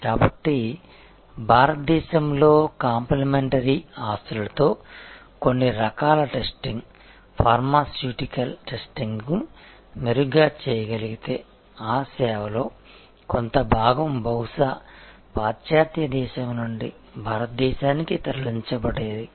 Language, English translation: Telugu, So, if certain types of testing pharmaceutical testing could be done better with complimentary assets in India, then that part of the service moved from may be a western country to India